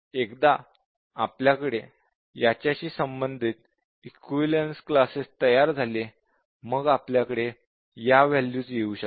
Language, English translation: Marathi, So, these are, once we have the equivalence classes corresponding to this, we have those values